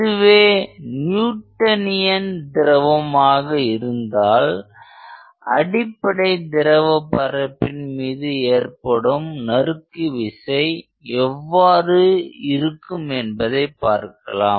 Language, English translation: Tamil, If it is a Newtonian fluid, then what is the shear force which acts on these elemental surfaces